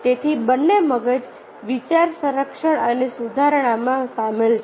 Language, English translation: Gujarati, so both the brains are involved in idea protection and improvement